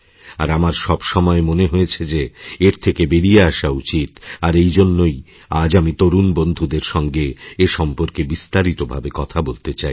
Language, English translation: Bengali, And I have always felt that we should come out of this situation and, therefore, today I want to talk in some detail with my young friends